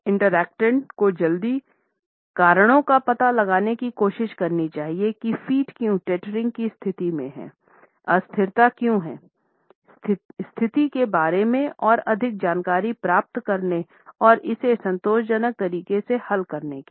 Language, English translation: Hindi, The interactant must try to find out the reasons of the hurry, reasons why the feet are teetering, why the unsteadiness is there to find out more about the situation and resolve it in a satisfactory manner